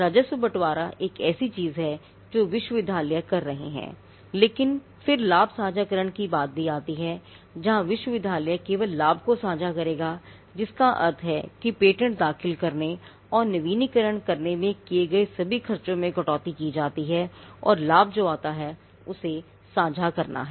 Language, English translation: Hindi, Revenue sharing is one thing which universities are doing, but then there is also something called profit sharing where the university would only share the profit which means all the expenses incurred in filing administering and renewal of the patent is deducted and what to share is only the profit that comes